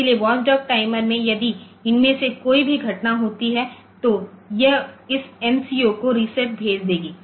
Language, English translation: Hindi, So, watchdog we know that if any of these events occur then it will send this MCU reset ok